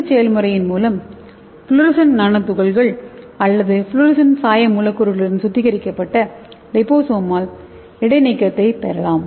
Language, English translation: Tamil, By this process we can get the purified liposomal suspension with your fluorescent nano particles or fluorescent dye molecules